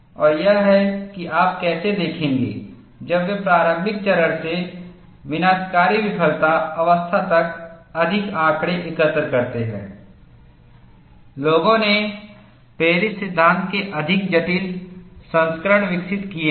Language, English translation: Hindi, And that is how you would see, when they collect more data from the initiation stage to catastrophic failure state, people have developed more complicated versions of Paris law